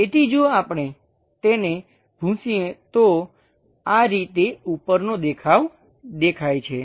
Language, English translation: Gujarati, So, if we are erasing it, this is the way top view looks like